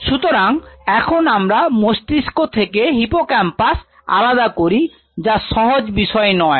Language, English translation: Bengali, So, now in the brain isolating hippocampus is not something very easy